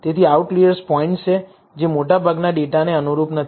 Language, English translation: Gujarati, So, outliers are points, which do not con form to the bulk of the data